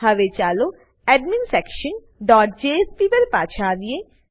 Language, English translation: Gujarati, Now, let us come to adminsection dot jsp